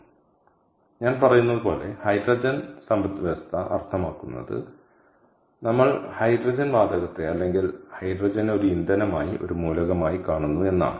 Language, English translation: Malayalam, so, as i say, hydrogen economy means we are looking at hydrogen gas or hydrogen as an element, ah as a, as a fuel